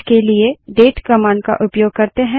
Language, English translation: Hindi, For this we have the date command